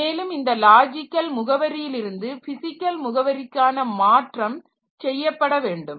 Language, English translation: Tamil, Then this logical address to physical address conversion, so that has to be done